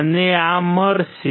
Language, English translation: Gujarati, I will get this